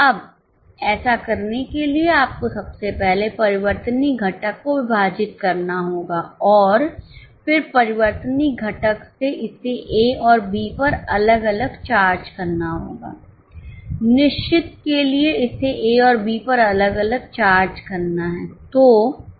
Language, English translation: Hindi, Now to do this you will have to first of all divide the variable component and then for variable charge it to A and B separately, for fixed charge it to A and B separately